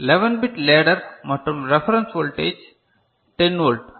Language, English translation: Tamil, Say, 11 bit ladder and the reference voltage say 10 volt ok